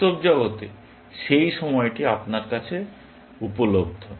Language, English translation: Bengali, That time, in the real world is available to you